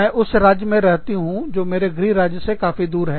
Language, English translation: Hindi, I live in a state, which is very far away, from my home state